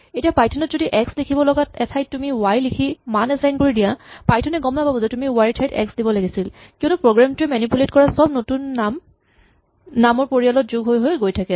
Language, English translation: Assamese, Now in Python if you write a y and you assign it a value somewhere where you meant an x, Python will not know that you were supposed to use x and not y because every new name that comes along is just happily added to the family of names which your program manipulates